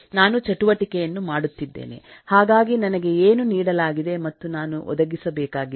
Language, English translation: Kannada, am doing an activity, so what I am given and what I had to deliver